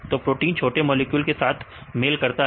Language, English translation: Hindi, So proteins interact with small molecules right